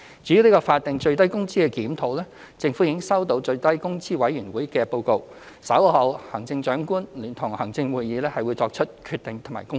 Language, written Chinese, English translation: Cantonese, 至於法定最低工資水平的檢討，政府已收到最低工資委員會的報告，稍後行政長官會同行政會議會作出決定及公布。, With respect to the review of the statutory minimum wage rate the Government has received the report of the Minimum Wage Commission already . The Chief Executive in Council will decide on the matter and make an announcement in due course